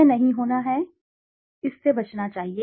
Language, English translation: Hindi, This is not to be, this should be avoided